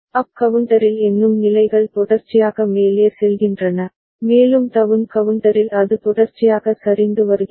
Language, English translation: Tamil, In up counter the counting states sequentially go up, and in down counter it is sequentially coming down ok